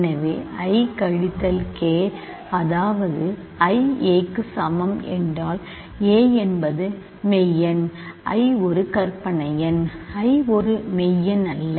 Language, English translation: Tamil, This is absurd because a is a real number, i is a imaginary number, i is not a real number